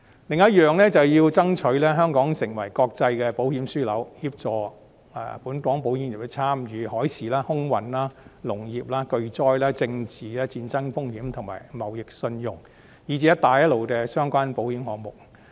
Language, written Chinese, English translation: Cantonese, 另一點是要爭取香港成為國際保險樞紐，協助本港保險業參與海事、空運、農業、巨災、政治、戰爭風險及貿易信用，以至"一帶一路"相關的保險項目。, Another point is to strive to make Hong Kong an international insurance hub and assist the Hong Kong insurance industry in expanding their insurance business to marine insurance aviation agriculture catastrophe political risk war risk trade credit and the Belt and Road Initiative